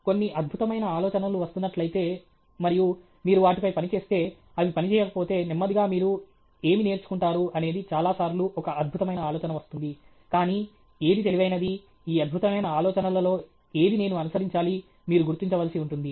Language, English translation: Telugu, If some brilliant idea is coming, and you work on it, and it doesn’t work, then slowly what do you learn is, far many times brilliant idea will come, but which brilliant, which of these brilliant ideas I have to pursue is something you will have to figure out